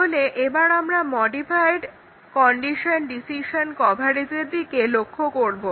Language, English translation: Bengali, So, that is modified condition decision coverage